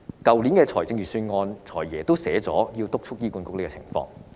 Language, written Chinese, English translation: Cantonese, 去年的預算案，"財爺"已提出要督促醫管局改善這個情況。, The Financial Secretary has already proposed in last years Budget that HA should be urged to improve the situation